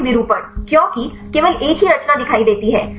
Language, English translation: Hindi, More conformation because see a only one conformation